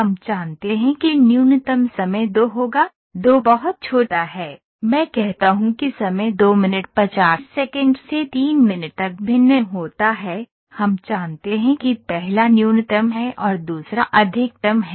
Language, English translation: Hindi, So, we know that the minimum time would be 2,2 is too small let me say the time varies from 2 minutes 50 seconds to 3 minutes, we know that this is the minimum, this is the maximum